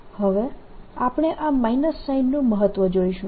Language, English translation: Gujarati, now we'll see the importance of this minus sign